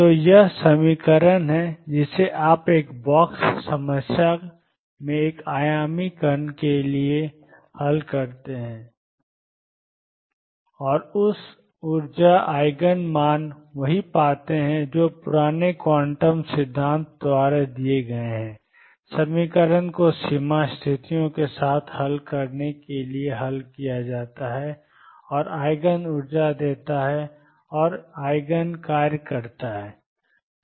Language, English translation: Hindi, So, this is equation you solve it for one dimensional particle in a box problem and found the energy Eigen values to be the same as those given by old quantum theory the equation is to be solved to be solved with boundary conditions and gives Eigen energies and Eigen functions